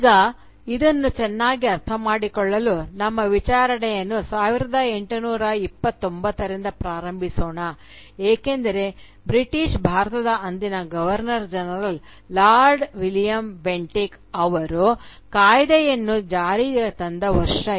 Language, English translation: Kannada, Now, to understand this better, let us start our enquiry from the year 1829 because this was the year when the then Governor General of British India, Lord William Bentinck, he passed a legal Act